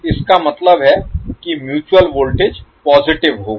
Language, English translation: Hindi, That means the mutual voltage will be positive